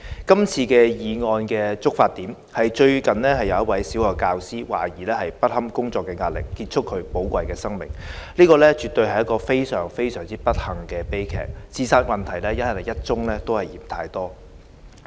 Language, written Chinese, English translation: Cantonese, 這次議案的觸發點是，最近有一位小學教師懷疑不堪工作壓力，結束寶貴的生命，這絕對是非常不幸的悲劇，自殺問題是一宗也嫌太多。, This motion was triggered by a recent incident in which a primary teacher was suspected of ending her valuable life because of work pressure . This is certainly a tragedy and one suicide case is already too many